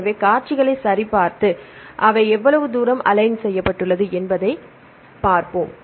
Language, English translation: Tamil, So, we check the sequences and then see how far they are aligned